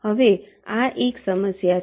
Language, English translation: Gujarati, now this is just an example